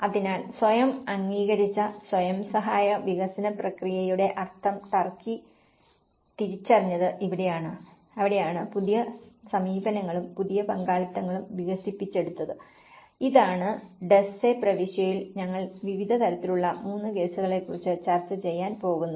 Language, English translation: Malayalam, So, this is where the turkey realized the sense of the self approved, self help development process and that is where the new approaches, the new partnerships has been developed, this is what we are going to discuss about 3 in different cases and in the Duzce province